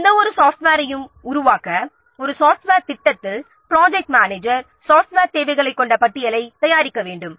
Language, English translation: Tamil, So, for any software to be developed or in a software project, the project manager has to prepare a list containing the software requirements